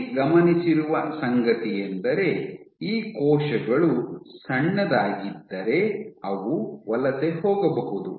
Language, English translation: Kannada, What has been observed is these cells they can migrate just as well if you have small